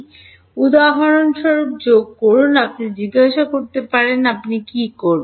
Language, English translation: Bengali, add i comma j for example, you can ask what would you do